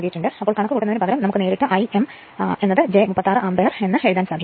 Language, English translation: Malayalam, So, so instead of making the directly you can write that I m is equal to minus j 36 ampere